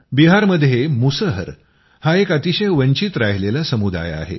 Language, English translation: Marathi, Musahar has been a very deprived community in Bihar; a very poor community